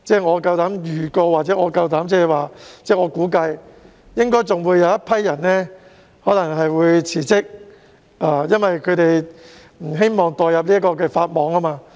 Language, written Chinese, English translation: Cantonese, 我膽敢預告或估計，在宣誓日之前，應該還有一些人會辭職，因為他們不想墮入法網。, I dare to predict or anticipate that before the day DC members are to take the oath some more of them will resign because they do not want to be caught by the law